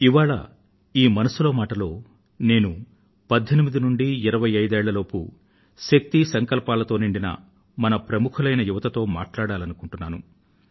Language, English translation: Telugu, And today, in this edition of Mann Ki Baat, I wish to speak to our successful young men & women between 18 & 25, all infused with energy and resolve